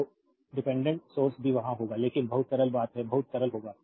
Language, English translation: Hindi, So, dependent source also will be there, but very simple later you will know very simple